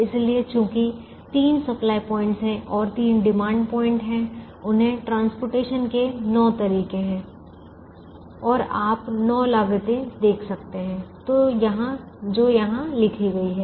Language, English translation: Hindi, so, since there are three supply points and three demand points, there are nine ways of transporting them and you are able to see nine costs that are written here